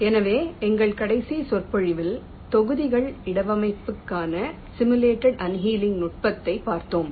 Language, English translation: Tamil, so now, last lecture we looked at the simulated annealing technique for placement of the blocks